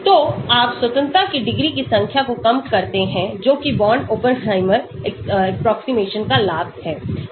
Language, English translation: Hindi, So, you reduce the number of degrees of freedom that is the advantage of Born Oppenheimer approximation